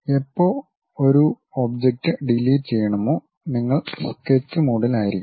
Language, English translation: Malayalam, So, whenever you would like to delete one particular object, you have to be on the Sketch mode